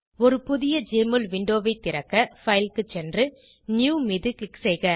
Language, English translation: Tamil, Open a new Jmol window by clicking on File and New